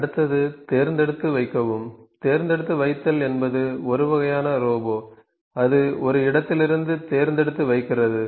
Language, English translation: Tamil, Next is pick and place, pick and place is a kind of a robot that just the picks and place from one place